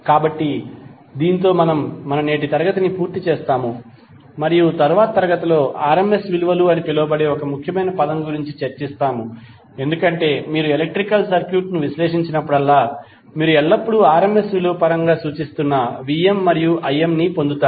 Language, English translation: Telugu, So this we finish our today's class and next class we will discuss about the one of the most important term called RMS values because whenever you analyze the electrical circuit, you will always get the Vm and Im as represented in terms of RMS value